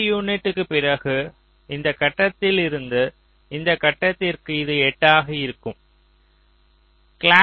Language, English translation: Tamil, so after eight unit of from this point to this point, it is eight